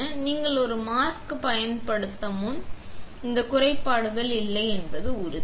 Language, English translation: Tamil, So, before you use a mask, make sure that this kind of defects are not there